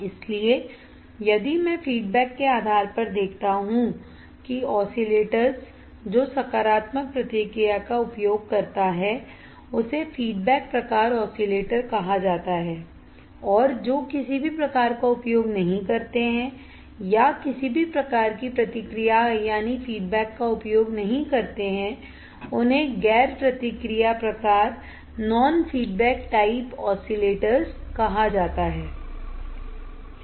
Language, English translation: Hindi, So, if I see based on the feedback the oscillators which use the positive feedback are called feedback type oscillators and those which does not use any or do not use any type of feedback are called non feedback type oscillators